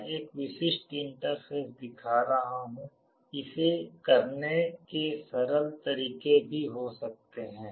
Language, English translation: Hindi, I am showing a typical interface there can be simpler ways of doing it also